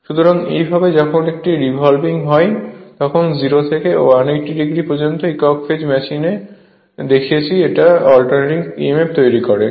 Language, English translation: Bengali, So, this way when it is revolving say 0 to your 180, when it rotates 180 degree this is the same way we have seen single phase machine that alternating emf